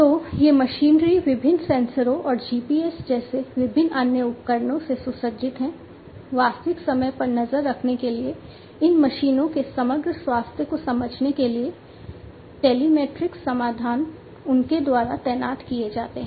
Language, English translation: Hindi, So, these machinery are equipped with different sensors and different other devices like GPS etcetera for real time tracking, for understanding the overall health of these machines, telematic solutions are deployed by them